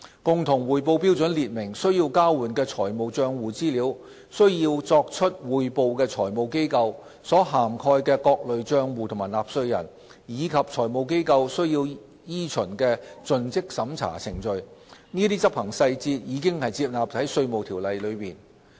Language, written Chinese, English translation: Cantonese, 共同匯報標準列明須交換的財務帳戶資料、須作出匯報的財務機構、所涵蓋的各類帳戶和納稅人，以及財務機構須依循的盡職審查程序，這些執行細節已收納在《稅務條例》內。, The common reporting standard sets out the financial account information to be exchanged the financial institutions required to report the different types of accounts and taxpayers covered as well as due diligence procedures to be followed by financial institutions . Such executive details have already included in the Inland Revenue Ordinance